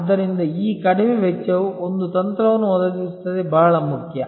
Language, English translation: Kannada, So, this low cost provide a strategy is very important